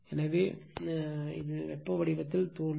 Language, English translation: Tamil, So, and appear in the form of heat right